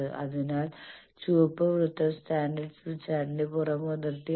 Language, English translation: Malayalam, So, red circle is the standard smith chart outer boundary